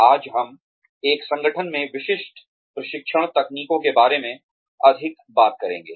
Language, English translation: Hindi, Today, we will talk more about, the specific training techniques, in an organization